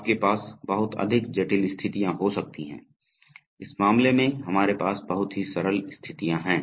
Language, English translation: Hindi, You can have much more complicated conditions, in this case we have very simple conditions